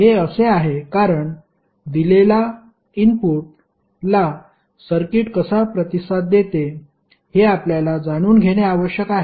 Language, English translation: Marathi, Because we want to understand how does it responds to a given input